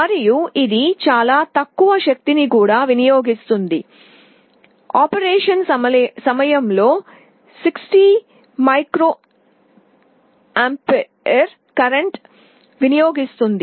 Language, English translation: Telugu, And it also consumes very low power, 60 microampere current during operation